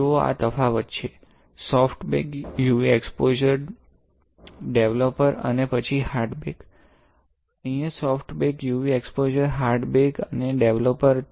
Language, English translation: Gujarati, You see this is the difference, you soft bake, UV exposure, developer and then hard bake; here soft bake, UV exposure, hard break and developer there is a difference